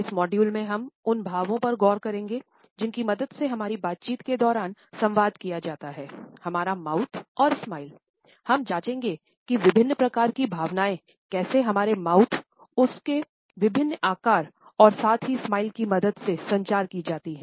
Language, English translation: Hindi, In this module, we would look at the expressions which are communicated during our interactions with the help of our Mouth as well as with the Smiles